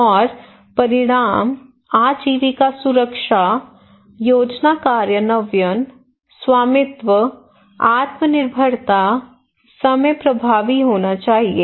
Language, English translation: Hindi, And outcome; There should be livelihood security, plan implementation, ownership, self reliance, time effective